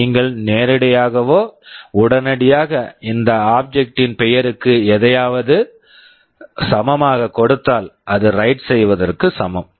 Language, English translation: Tamil, If you straightaway give the name of that object equal to something, which is equivalent to write